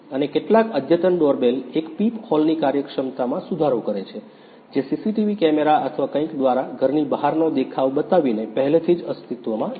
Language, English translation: Gujarati, And some advanced doorbell improve the functionality of a peephole which is already x which was already existing by showing the view of outside of the house by a CC TV camera or something